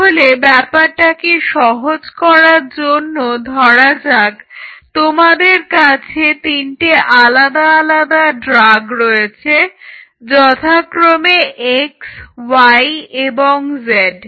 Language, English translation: Bengali, So, now, say for example, to keep it simple you have three different drug molecules x y and z right